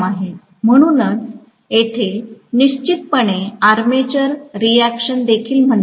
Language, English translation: Marathi, So that is something definitely called armature reaction here also, no doubt